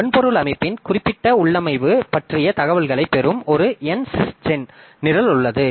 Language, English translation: Tamil, There is aGEN program that obtains information concerning the specific configuration of the hardware system